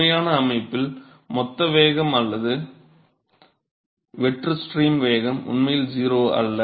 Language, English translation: Tamil, So, real system the bulk velocity or the free stream velocity is really not 0